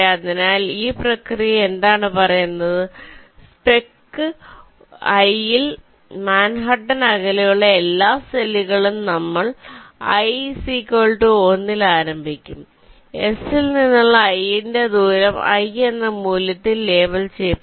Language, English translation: Malayalam, so what this process says is that in spec i, all the cells which are at an manhattan distance of all we will start with i, equal to one, distance of i from s, will be labeled with the value i